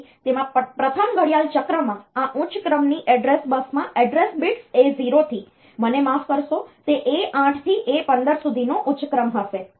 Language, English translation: Gujarati, So, in that the in the first clock cycle this higher order address bus will have the higher order the address bits A 0 to a sorry A 8 to A 15